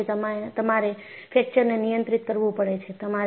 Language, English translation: Gujarati, So, that is the way, you have to handle fracture